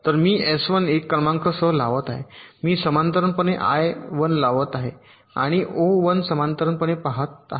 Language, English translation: Marathi, so i am applying s one serially, applying i one parallelly and observing o one parallelly, observing n one serially